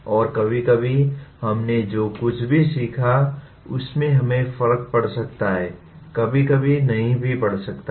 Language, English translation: Hindi, And sometimes whatever we learned can make a difference to us, sometimes may not make a difference to us